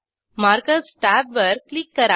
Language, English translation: Marathi, Click on Markers tab